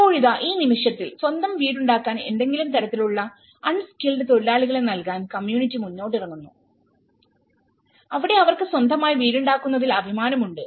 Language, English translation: Malayalam, And now, in this the moment, the community is coming forward to provide some kind of unskilled labour to make their own houses, where they feel dignity about making their own house